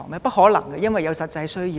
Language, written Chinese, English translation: Cantonese, 不可能，因為有此實際需要。, It would not be possible since there was a practical need for them